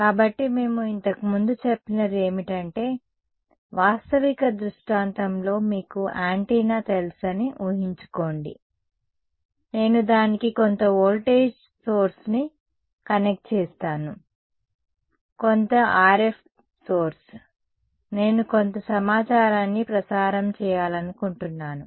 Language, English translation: Telugu, So, what we said earlier was that in a realistic scenario imagine you know an antenna I connect some voltage source to it ok, some RF source, I wanted to broadcast some information